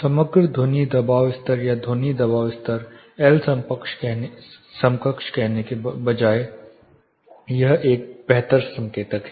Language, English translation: Hindi, Instead of saying the overall noise level some sound pressure level are sound pressure level L equivalent should be this much this is a better indicator